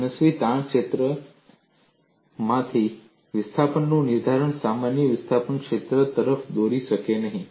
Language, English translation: Gujarati, Determination of displacements from an arbitrary strain field may not lead to a valid displacement field